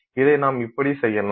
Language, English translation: Tamil, That does exactly this